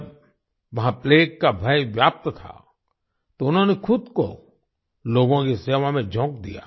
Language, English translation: Hindi, When the dreadful plague had spread there, she threw herself into the service of the people